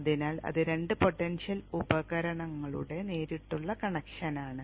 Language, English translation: Malayalam, So there is a direct connection of two potential devices